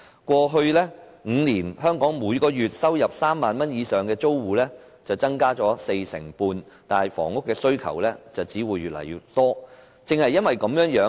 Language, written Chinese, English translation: Cantonese, 過去5年，香港每月收入3萬元以上的租戶增加四成半，但房屋需求只會越來越多。, In the past five years the number of tenants earning 30,000 per month has increased by 45 % indicating that the demand for housing will only rise